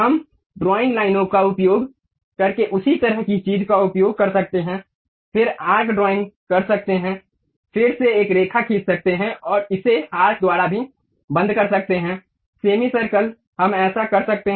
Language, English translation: Hindi, We can use same kind of thing by using drawing lines, then drawing arcs, again drawing a line and closing it by arc also, semi circle, we can do that